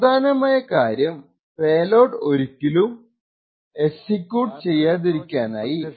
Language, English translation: Malayalam, Essential idea in this entire thing is a way to hide the triggers so that the payloads never execute